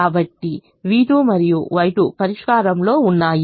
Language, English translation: Telugu, so v two and y two are in the solution